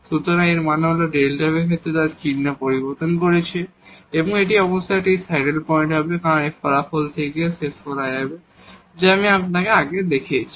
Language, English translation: Bengali, So, means this delta f is changing its sign in that case and this will be a saddle point definitely, which will be also concluded from this result, which I have shown you before